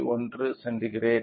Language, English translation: Tamil, 9 degree centigrade